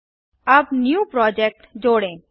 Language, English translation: Hindi, Now let us add a new project